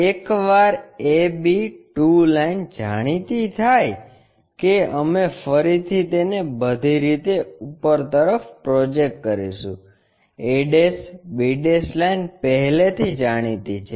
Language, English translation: Gujarati, Once, this a b 2 line is known we again project it back all the way up, a' b' line already known